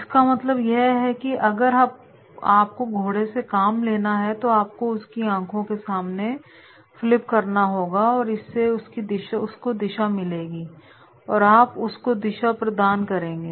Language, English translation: Hindi, It means that is if you want to get the work from the horse you have to put the flip before the eyes and flip before the eyes means that is the direction, you give the direction